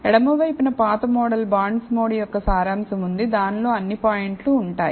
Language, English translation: Telugu, On the left is the summary of the old model bondsmod that contains all the points